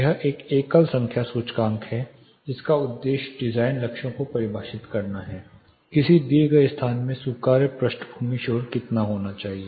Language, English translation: Hindi, Noise criteria are NC this is a single number index which is intended to define the design goals how much should be the allowable background noise level in a given space